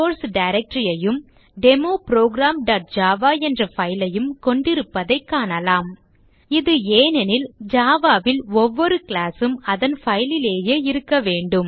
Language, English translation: Tamil, We can see that the DemoProject has the source directory and a file called Demo program.Java, This is because every class in Java has to be in its own file